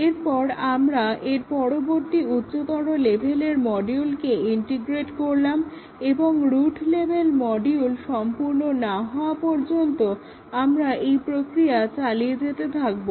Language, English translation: Bengali, Then, we integrate the next higher level module and so on until we complete the route level module